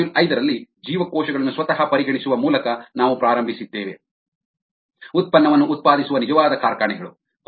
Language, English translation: Kannada, the hm in module five we began by considering the cells themselves, the actual factories that produce the product